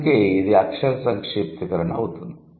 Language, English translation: Telugu, So, that is why this will be alphabetic abbreviation